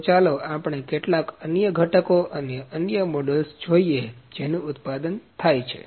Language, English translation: Gujarati, So, let us see some other components and other models which are manufactured